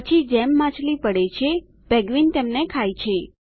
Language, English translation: Gujarati, Then, as the fish falls, the penguin runs to eat them